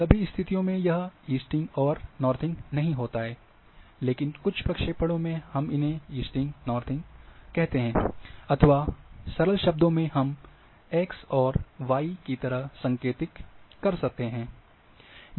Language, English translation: Hindi, In all cases it is not easting northing, but in certain projections we call them as easting northing, or in simple terms we can say x and y